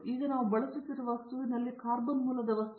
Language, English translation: Kannada, Now, in the material that we are now using is carbon materials are carbon based materials